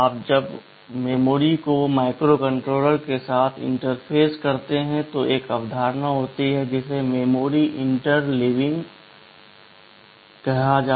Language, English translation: Hindi, When you interface memory with the microcontroller, there is a concept called memory interleaving